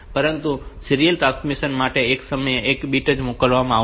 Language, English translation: Gujarati, For serial transmission the bits will be sent one at a time